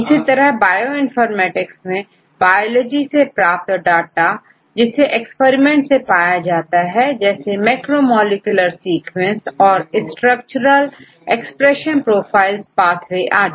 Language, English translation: Hindi, So, you will look into the biology we can get the experiment data on various aspects, specifically in macromolecular sequences and the structures expression profiles pathways and so on